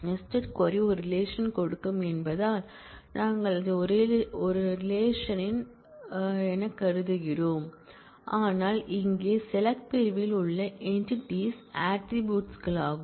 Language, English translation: Tamil, We were treating that as a relation because nested query will give a relation, but here in the select clause the entities are attributes